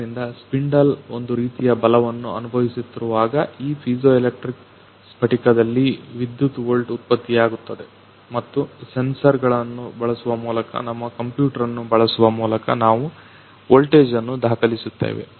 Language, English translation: Kannada, So whenever the spindle is experiencing some sort of the force; electric volt is getting generated on those piezoelectric crystal and by using sensors we are that voltage we are recorded by using our computer